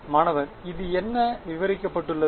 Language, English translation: Tamil, What this, what there are described